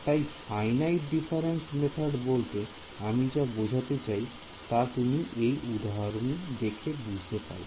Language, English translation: Bengali, So, what do I mean by finite difference methods, you can look at this example over here right